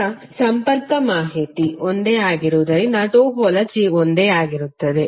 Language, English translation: Kannada, Now since connectivity information is same it means that topology is same